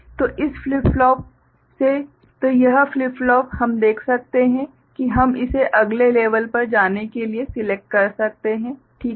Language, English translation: Hindi, So, from this flip flop ok, so this flip flop we can see that we can select it to go to the next level ok